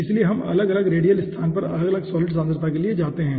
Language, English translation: Hindi, okay, so we go for different solid concentration at different radial location